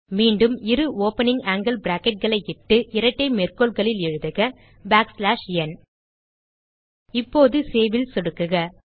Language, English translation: Tamil, Again type two opening angle brackets and within the double quotes type back slash n Now click on Save